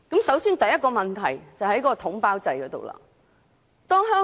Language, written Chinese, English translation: Cantonese, 首先，當中第一個問題出於統包制。, Firstly the first problem stems from the package deal